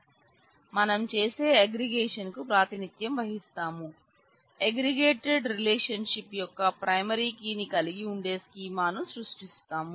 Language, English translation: Telugu, So, what we do we represent the aggregation we create a schema containing the primary key of the aggregated relationship